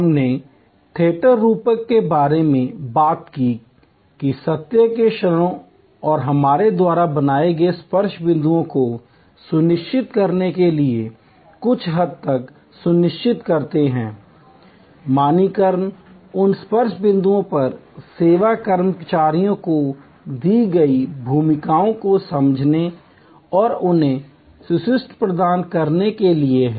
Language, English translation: Hindi, We talked about the theater metaphor that to ensure at the moments of truth and the touch point we maintain, some ensure to some extent, standardization is by understanding the roles given to the service employees at those touch points and providing them with scripts